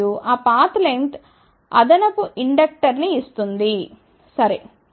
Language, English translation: Telugu, And, that path length may provide additional inductor ok